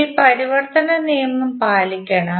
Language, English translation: Malayalam, You have to just follow the conversion rule